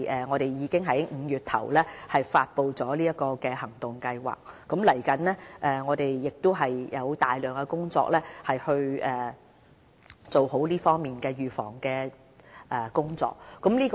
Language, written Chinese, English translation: Cantonese, 我們已在5月初發布了這個行動計劃，接下來我們有大量這方面的預防工作需要處理。, We have already announced the action plan in May and a lot of NCD preventive work will be on stream